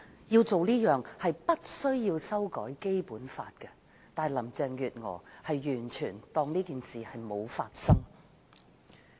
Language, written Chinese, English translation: Cantonese, 要做這件事並不需要修改《基本法》，但林鄭月娥完全視若無睹。, Getting this done does not require any amendment of the Basic Law but Carrie LAM chose to ignore it completely